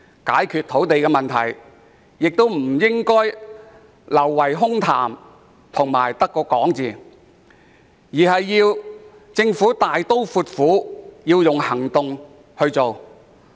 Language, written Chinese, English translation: Cantonese, 解決土地問題不應流於空談，政府應該大刀闊斧地採取行動。, To address the land supply issue the Government should take bold actions instead of indulging in empty talk